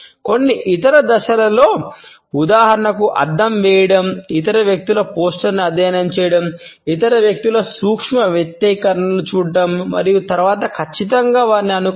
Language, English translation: Telugu, Certain other steps include mirroring for example, is studying the poster of other people, looking at the micro expressions of other people and then certainly mimicking them